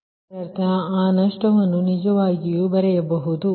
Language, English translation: Kannada, ah, that means we can write that loss actually just hold on